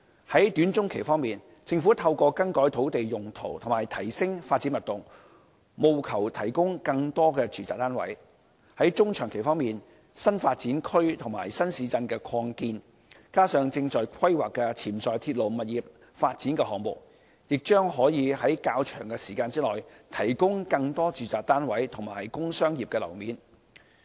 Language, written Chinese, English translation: Cantonese, 在短中期方面，政府透過更改土地用途和提升發展密度，務求提供更多住宅單位；在中長期方面，新發展區和新市鎮擴建，加上正在規劃的潛在鐵路物業發展項目，亦將可在較長的時間內，提供更多住宅單位及工商業樓面。, In the short to medium term the Government strives to provide more residential units with land use modifications and raising development intensity . In the medium to long term expansion in new development areas and new towns on top of the potential railway property development projects which are now under planning can provide more residential units and industrial and commercial floor space in a longer period